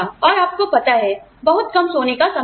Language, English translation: Hindi, And, you know, do with very little sleep time